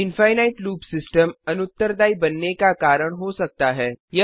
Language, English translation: Hindi, Infinite loop can cause the system to become unresponsive